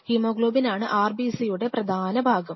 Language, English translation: Malayalam, So, hemoglobin is the key part of the RBC’s